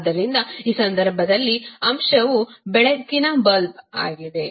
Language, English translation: Kannada, So, in this case the element is light bulb